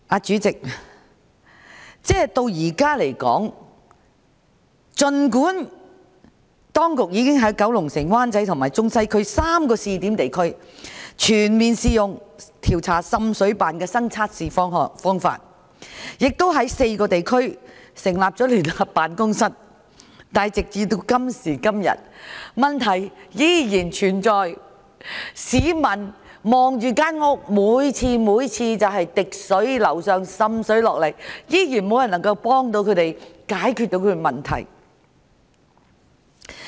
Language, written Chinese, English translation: Cantonese, 主席，儘管當局現時已經在九龍城、灣仔和中西區3個試點地區，全面採用新測試方法調查滲水，亦在4個地區成立了聯合辦公室，但時至今日問題依然存在，不少市民家中仍然滴水、滲水，卻無人能幫助他們解決問題。, President even though the authorities have adopted new methods and launched a pilot scheme to investigate water seepage problems in Kowloon City Wan Chai and the Central and Western District and JOs have been set up in four districts up till now many households are still annoyed by water seepage problems but nobody is able to help them to solve the problems